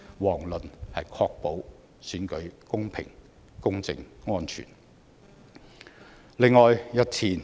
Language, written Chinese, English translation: Cantonese, 遑論是確保選舉公平、公正、安全。, How can it ensure that the Election will be held in a fair just and safe manner?